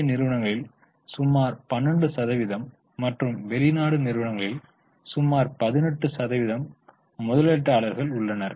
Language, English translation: Tamil, Indian institutions have about 12 percent, foreign institutional investors, 18 percent